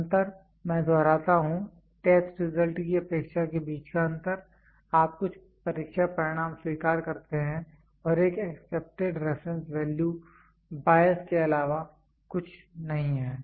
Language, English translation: Hindi, The difference, I repeat, the difference between the expectation of the test result; you accept some test result and an accepted reference value is nothing, but bias